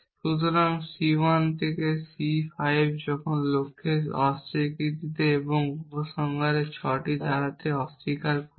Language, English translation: Bengali, So, C 1 to C 5 when negation of the goal and negation of the conclusion which is the 6 clauses